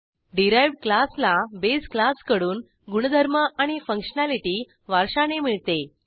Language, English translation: Marathi, Derived class inherits the properties and functionality of the base class